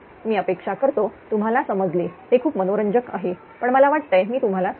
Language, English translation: Marathi, I hope you have understood this right this is very interesting, but I thought I should tell you right